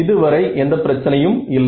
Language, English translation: Tamil, Exact right, so far no issues